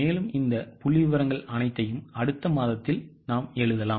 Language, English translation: Tamil, So, you can just write in the next month all these figures